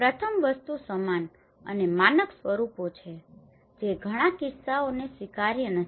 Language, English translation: Gujarati, The first thing is the uniform and standardized forms which are not acceptable many cases